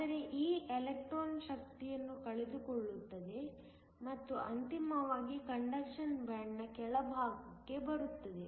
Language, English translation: Kannada, But this electron will loose energy and then ultimately come to the bottom of the conduction band